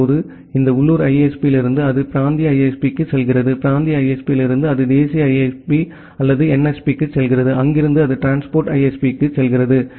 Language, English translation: Tamil, Now from this local ISP it goes to the regional ISP, from regional ISP it goes to the national ISP or the NSP, from there it goes to the transit ISP